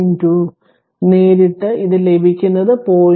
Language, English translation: Malayalam, 2 directly, you will get it will be 0